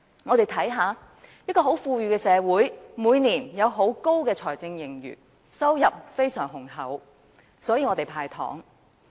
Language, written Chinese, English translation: Cantonese, 香港是一個很富裕的社會，政府每年有大量財政盈餘，收入非常豐厚，所以能夠"派糖"。, Hong Kong is an affluent society and every year the Government has a huge fiscal surplus and abundant revenues enabling it to hand out candies